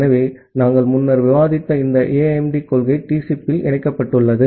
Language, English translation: Tamil, So, this AIMD principle that we discussed earlier is incorporated in TCP